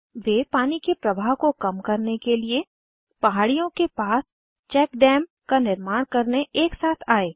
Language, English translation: Hindi, They came together to construct check dams near the hill, to reduce water flow speed